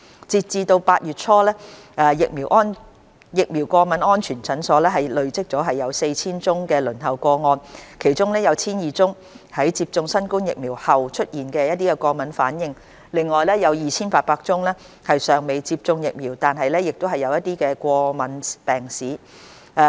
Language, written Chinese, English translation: Cantonese, 截至8月初，疫苗過敏安全門診已累積逾 4,000 宗輪候個案，其中約 1,200 宗在接種新冠疫苗後出現過敏反應，另外約 2,800 宗尚未接種疫苗但有過敏病史。, As at early August there were over 4 000 cases on the waiting list of VASC of which around 1 200 were cases with allergic reactions after vaccination and around 2 800 were cases with history of allergies but not yet vaccinated